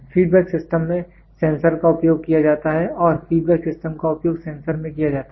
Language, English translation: Hindi, Sensors are used in feedback systems and feedback systems are used in sensors